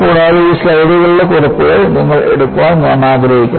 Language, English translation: Malayalam, And, I would like you to take down the notes of these slides